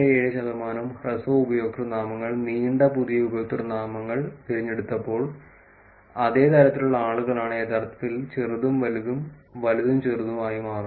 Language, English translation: Malayalam, 87 percent short usernames picked long new usernames So, it is kind of a same kind of percentage of people are actually flipping from small to big, and big to small